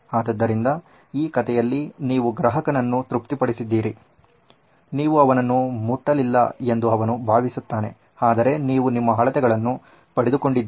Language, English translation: Kannada, So, that way you are satisfying the customer that he thinks you have not touched him but you’ve still got your measurements